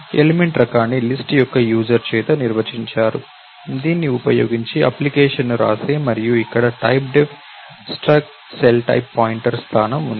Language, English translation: Telugu, An element type is defined by the user of the list, whoever is writing an application using this and here typedef struct cellType* pointer is position